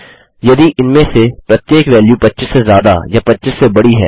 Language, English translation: Hindi, If each of these values is greater than 25 or bigger than 25